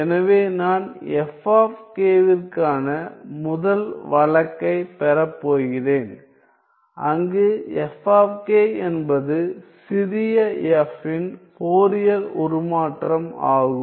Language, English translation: Tamil, So, I am going to get for the first case I am going to get F of k where F of k is the Fourier transform of small f